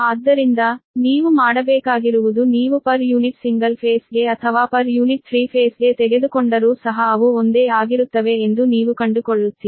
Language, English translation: Kannada, if you takes per unit per single phase or per unit per three phase, you will find they are same right